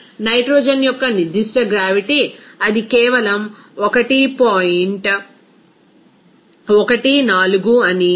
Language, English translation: Telugu, So, we can say that the specific gravity of the nitrogen it will be simply 1